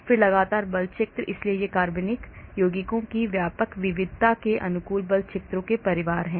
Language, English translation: Hindi, then the consistent force field so these are family of force fields adapted to broad variety of organic compounds